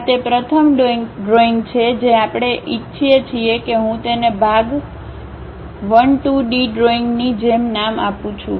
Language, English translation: Gujarati, This is the first drawing what we would like to have I am just naming it like Part1 2D drawing